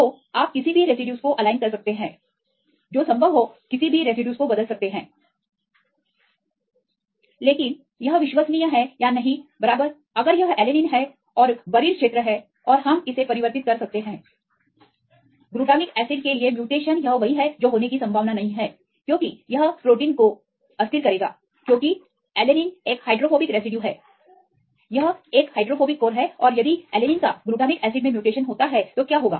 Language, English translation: Hindi, So, you can align any residues you can mutate any residues that is possible, but this is reliable or not right if it is alanine is the buried religion and we convert it; the mutate to glutamic acid this is what unlikely happen because it will destabilize the protein right because alanine is a hydrophobic residue; this is a hydrophobic core and if you convert; mutate to alanine to glutamic acid what will happen